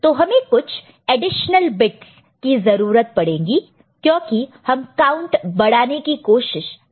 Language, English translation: Hindi, Now, some additional bits are required because the number you know the count we are trying to increase